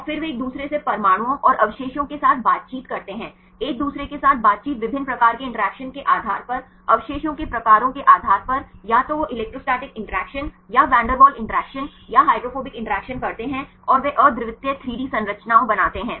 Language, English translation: Hindi, And then they interact with each other the atoms and the residues, the interact with each other based on the various types of interactions depending upon the residue types either they make the electrostatic interaction or van der Waals interaction or hydrophobic interactions and they form the unique 3D structures